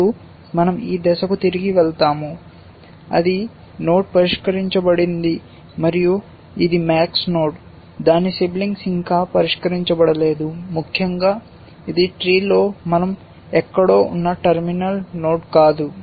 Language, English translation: Telugu, Now, we go back to this step that node is solved and that is a max node, its sibling is not yet solved essentially it is not a terminal node we are somewhere up in the tree